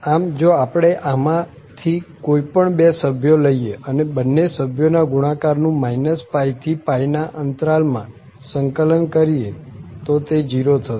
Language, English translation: Gujarati, So, you can take any two different members here and the product if integrated over from minus l to l the value will be 0